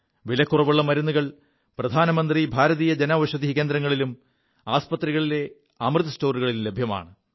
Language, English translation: Malayalam, Affordable medicines are now available at 'Amrit Stores' at Pradhan Mantri Bharatiya Jan Aushadhi Centres & at hospitals